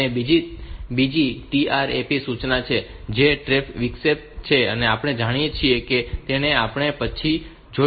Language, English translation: Gujarati, And there is another trap instruction which is a trap interrupt which is know we will see later